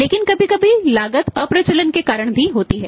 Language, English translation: Hindi, But sometime the cost is because of excellence also